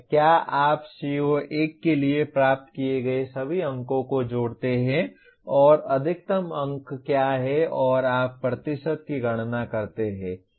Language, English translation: Hindi, That is you add up all the marks they have obtained for CO1 and what is the maximum mark and you compute the percentage